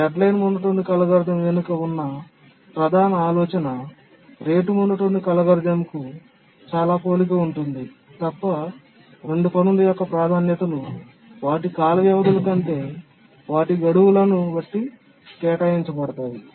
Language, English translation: Telugu, It's very similar to the rate monotonic algorithm, excepting that the priorities to tasks are assigned based on their deadlines rather than their periods